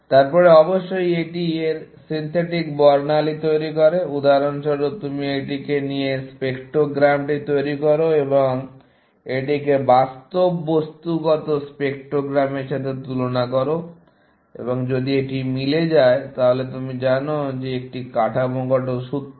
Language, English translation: Bengali, Then, of course, it generates the synthetic spectrogram of the, for example, you take this generate the spectrogram and compare it with your real material spectrogram, and if this matches, then you know that it is the structural formula and so on, essentially